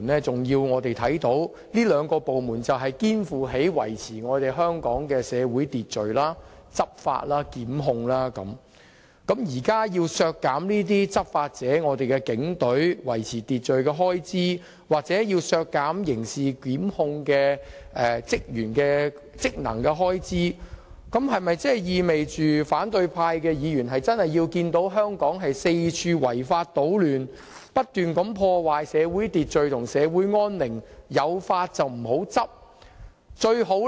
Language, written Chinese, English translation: Cantonese, 這兩個部門肩負了維持香港社會秩序，進行執法和檢控的職責，若要削減執法者即警隊維持社會秩序的開支，又或削減執行刑事檢控職能的開支，是否意味反對派議員希望看到香港四處出現違法搗亂、破壞社會秩序和安寧、有法不執的情況？, These two departments are responsible for keeping social order law enforcement and prosecutions . So when these Members seek to deduct the expenditure of the law - enforcer on keeping social order and also the expenditure on criminal prosecutions do they actually want Hong Kong to see widespread unlawful disturbances the destruction of social order and peace and the non - enforcement of laws?